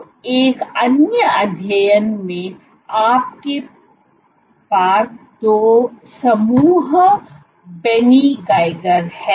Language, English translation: Hindi, So, one other study you have two groups Benny Geiger